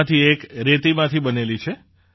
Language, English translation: Gujarati, One of these is made of Sandstone